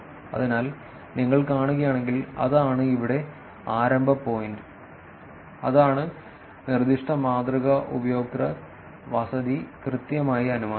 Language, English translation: Malayalam, So, that is the starting point here if you see, that is the proposed model inferred exactly the user residence